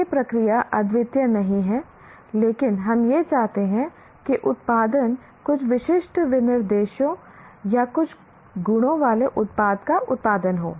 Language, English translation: Hindi, The process is not unique, but we want the output, the product to be produced in a, having a certain specifications or certain properties